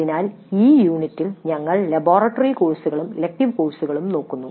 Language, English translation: Malayalam, So in this unit we look at laboratory courses and elective courses